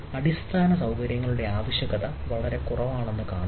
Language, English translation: Malayalam, see there is in need of infrastructure is minimal